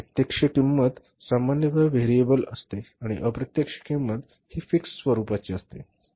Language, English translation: Marathi, Direct cost is generally variable and indirect cost is fixed